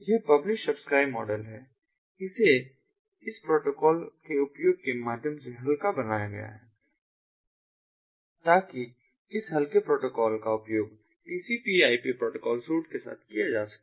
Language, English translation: Hindi, it has been made lightweight through the use of this protocol and so that this lightweight protocol can be used in conjunction with the tcp ip protocol suit